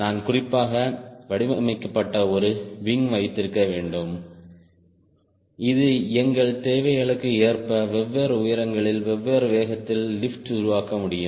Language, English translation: Tamil, so i need to have a wing especially designed so that it can generate lift at different altitudes, a different speed, as per our requirements